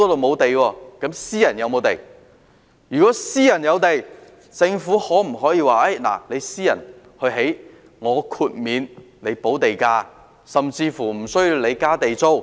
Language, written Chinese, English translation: Cantonese, 如果私人機構有土地，政府可否由他們興建，然後豁免他們補地價甚至無須繳交地租。, If the private sector has land can the Government let them construct it and then waive the land premium or even exempt them from paying Government rent?